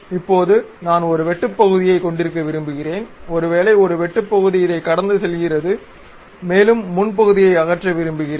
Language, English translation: Tamil, Now, I would like to have a cut section maybe a cut section passing through this and I would like to remove the frontal portion